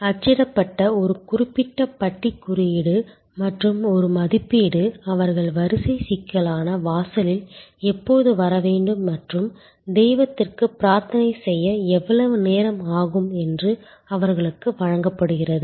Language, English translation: Tamil, They are given a band with a particular bar code in print and an estimate, when they should arrive at the queue complex door and how long it will take them to offer their prayers to the deity